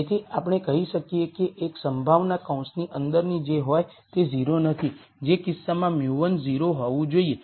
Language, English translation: Gujarati, So, we could say one possibility is whatever is inside the bracket is not 0 in which case mu 1 has to be 0